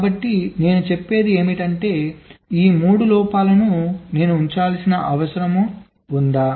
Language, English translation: Telugu, so what i am saying is that do i need to keep all this three faults